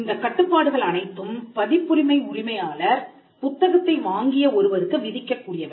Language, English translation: Tamil, All these are restrictions that the owner of the copyright can impose on a person who has purchased the book